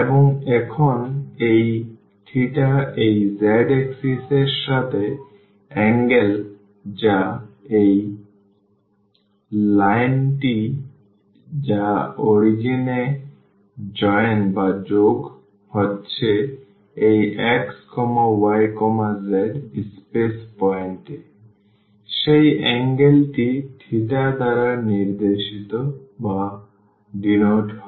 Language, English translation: Bengali, And, now this theta angle the theta is the angle with this z axis which this line which is joining this origin to this x y z point in the space that angle is denoted by theta